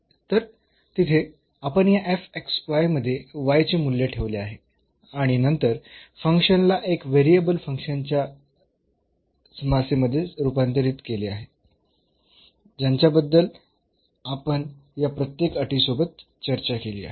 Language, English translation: Marathi, So, there we have substituted the value of the y into this f x y and then the function was converted into a function of 1 variable problem which we have discussed for along each of these conditions